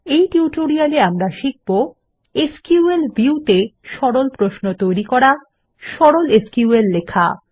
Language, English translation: Bengali, In this tutorial, we will learn how to Create Simple Queries in SQL View, Write simple SQL